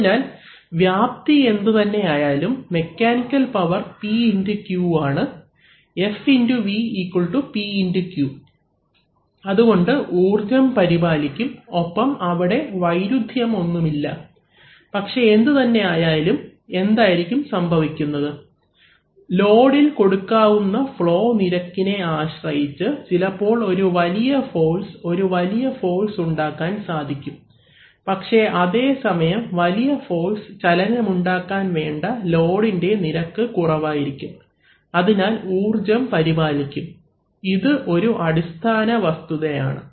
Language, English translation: Malayalam, So whatever the area the mechanical power is also P into Q, F into V equal to P into Q, so therefore energy is conserved and there is no contradiction, so this but never the less, so actually what is going to happen is that, we will, depending on what flow rate we can provide the load, perhaps a very high force, we can create a very high force but at the same time the rate at which that load which requires a very high force to move, is going to be slow, so the energy is going to be concerned, that is the basic fact